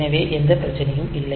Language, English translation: Tamil, So, there is no problem and